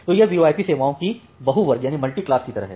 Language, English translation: Hindi, So, it is just like multi class of VoIP services